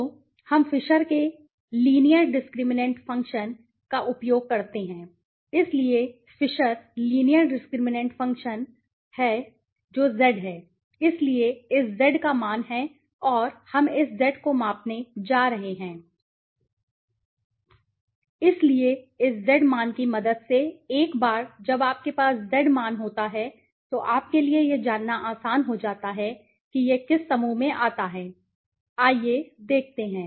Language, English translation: Hindi, So, we use the Fisher s linear discriminant function, so Fisher s linear discriminant function is I think this is what is the one the Z right, so have this Z value and we are going to measure this Z value right, so with the help of this Z value once you have the Z value then it becomes easier for you right, to know okay which group it comes to, let us see